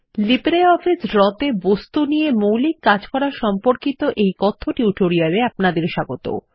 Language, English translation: Bengali, Welcome to the Spoken Tutorial on Basics of Working with Objects in LibreOffice Draw